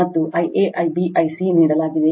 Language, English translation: Kannada, And I a, I b, I c are given